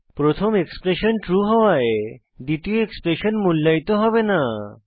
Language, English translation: Bengali, Since the first expression is true , second expression will not be evaluated